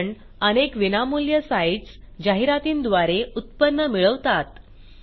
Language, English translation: Marathi, * This is because, many free sites earn their income from ads